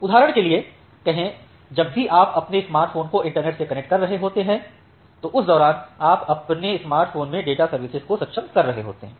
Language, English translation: Hindi, Say for example, whenever you are connecting your smartphone to the internet you are enabling the data services over your smartphone during that time